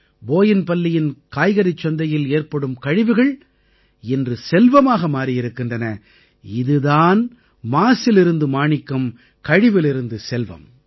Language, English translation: Tamil, Today in Boinpalli vegetable market what was once a waste, wealth is getting created from that this is the journey of creation of wealth from waste